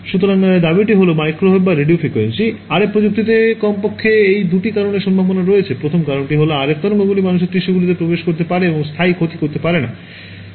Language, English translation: Bengali, So, the claim is that microwave or Radio Frequency: RF technology it has the potential for at least these two reasons; the first reason is that RF waves can penetrate human tissues and not cause permanent damage